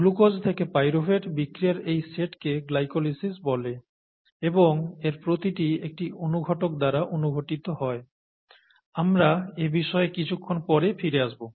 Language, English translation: Bengali, This set of reactions, glucose to pyruvate is called glycolysis and each one is catalysed by an enzyme, we will come to that a little later